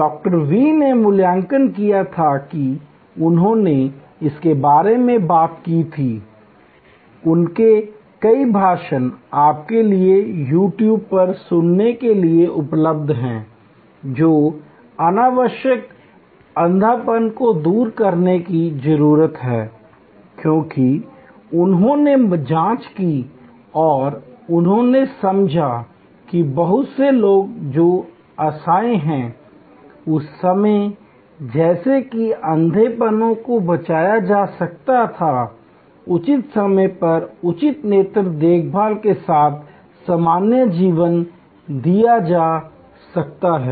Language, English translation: Hindi, V had evaluated and he has spoken about it, many of his speeches are available for you to listen to on You Tube that eradication of needless blindness, needless because he examined and he understood that many people who are helpless or who were helpless at that time, as blind could have been saved, could have been given normal life with proper eye care at appropriate time